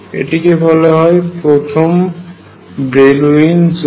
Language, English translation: Bengali, So, this is known as the first Brillouin zone